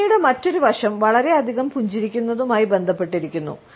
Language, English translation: Malayalam, Another aspect of a smile is related with too much smiling